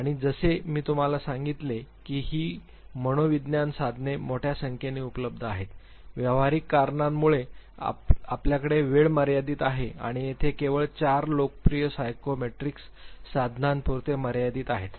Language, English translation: Marathi, And as I told you that there are large numbers of psychometrics tools available, for practical reasons we have limited time and there for restricted ourselves only to 4 popular psychometrics tools